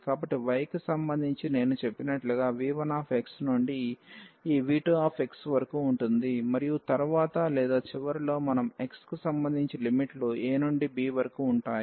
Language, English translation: Telugu, So, with respect to y the limits as I said will be from v 1 x to this v 2 x and later on or at the end we can integrate this with respect to x the limits will be from a to b